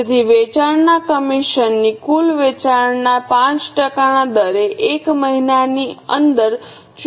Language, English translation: Gujarati, So, sales commission at 5% on total sales is to be paid within a month